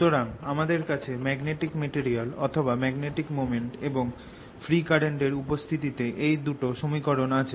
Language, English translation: Bengali, so i have got these two equations in presence of magnetic material, or in presence of magnetic moment and free currents